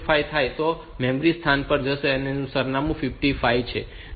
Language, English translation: Gujarati, So, it will jump to the memory location whose address is 52